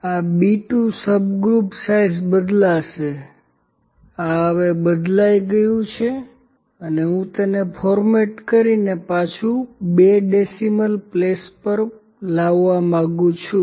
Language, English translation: Gujarati, This B 2 subgroup size will vary this is fixed now and I would also like to format it were bring it back to the second place of or I can put it to the third place of decimals